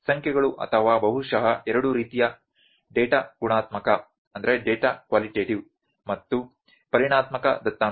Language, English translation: Kannada, The numbers or maybe actually the two types of data qualitative and quantitative data